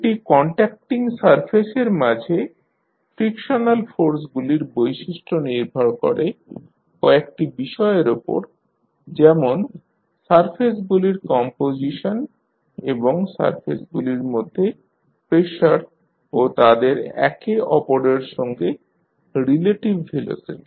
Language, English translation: Bengali, The characteristic of frictional forces between two contacting surfaces depend on the factors such as the composition of the surfaces and the pressure between the surfaces and their their relative velocity among the others